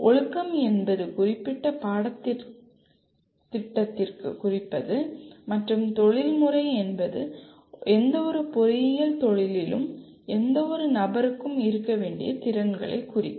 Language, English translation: Tamil, Disciplinary would mean specific to the particular subject and professional would mean the kind of competencies any person should have in any kind of engineering profession